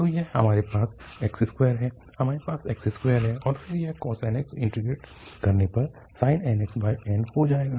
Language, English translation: Hindi, So, here we have x square, we have x square and then this cos nx will be integrated to sin nx over n